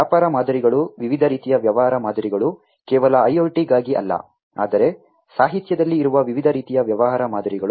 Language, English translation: Kannada, The business models, the different types of business models not just for IoT, but the different types of business models that are there in the literature